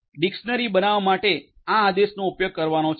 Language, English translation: Gujarati, To create a dictionary this is the comment to be used